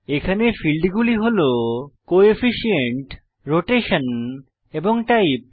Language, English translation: Bengali, This window contains fields like Coefficient, Rotation and Type